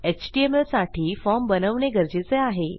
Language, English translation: Marathi, For the html we need to create a form